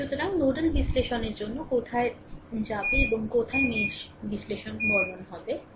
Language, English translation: Bengali, So, where you will go for nodal analysis and where will go for mesh analysis look